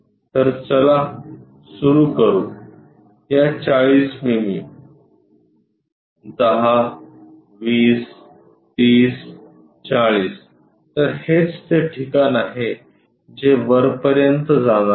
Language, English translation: Marathi, So, let us begin 40 mm, 10 20 30 and 40 this is the location is supposed to go all the way up